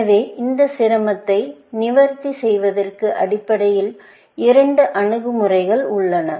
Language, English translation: Tamil, So, there are basically two approaches to addressing this difficulty